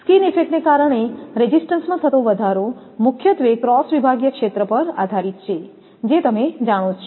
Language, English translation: Gujarati, The increase in resistance due to skin effect depends mainly on the cross sectional area, that you know